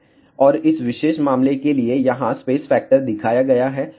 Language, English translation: Hindi, And, for this particular case here, space factor is shown